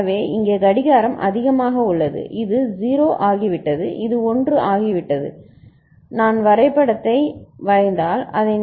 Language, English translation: Tamil, So, after that here the clock is high this has become 0 this has become 1 you can see that thing if I draw the diagram